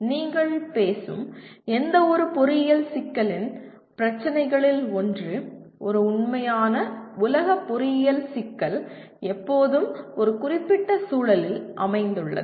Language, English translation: Tamil, One of the issues of any engineering problem that you talk about, a real world engineering problem is always situated in a given context